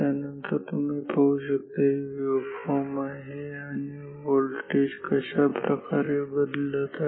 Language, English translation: Marathi, So, then you shall see that this is the waveform or how the voltage is varying